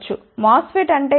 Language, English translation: Telugu, What is a MOSFET